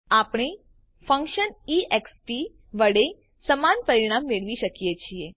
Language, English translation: Gujarati, We can achieve the same result with the function e x p